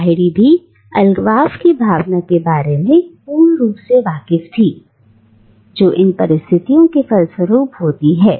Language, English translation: Hindi, But Lahiri is also keenly aware of the sense of alienation that this diasporic condition entails